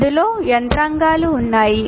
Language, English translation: Telugu, There are mechanisms in this